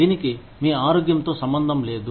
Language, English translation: Telugu, It has nothing to do with your health